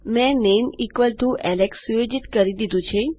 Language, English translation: Gujarati, Ive got my name set to Alex